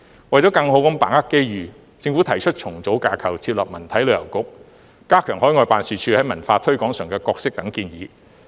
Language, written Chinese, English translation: Cantonese, 為了更好地把握機遇，政府提出重組架構設立文體旅遊局、加強海外辦事處在文化推廣上的角色等建議。, To better grasp the opportunities the Government has proposed to reorganize its structure and set up a Culture Sports and Tourism Bureau to strengthen the role of overseas offices in cultural promotion